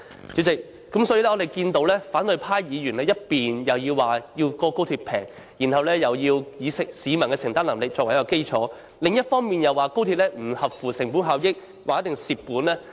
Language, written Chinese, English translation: Cantonese, 主席，我們看到反對派議員，一方面要求高鐵降低票價，要以市民的承擔能力作基礎；另一方面又批評高鐵不合乎成本效益，一定會虧蝕。, President we see that on the one hand Members from the opposition camp ask for a reduction of XRL ticket prices which they claim should be based on the affordability of the public but on the other hand they criticize that XRL is not cost - effective and will surely suffer losses